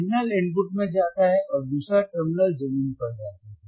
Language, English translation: Hindi, The signal goes to the input and another terminal goes to the ground another terminal goes to the ground